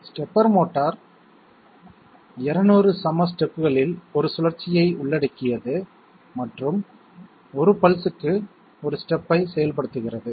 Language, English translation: Tamil, The stepper motor covers 1 rotation in 200 equal steps and executes one step per pulse, one step per pulse Pulse generator